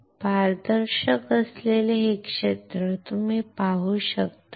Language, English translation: Marathi, Can you see this area which is transparent